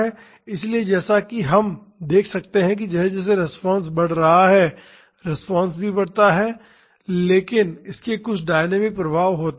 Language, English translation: Hindi, So, as we can see as the force is increasing, the response also increases, but it has some dynamic effects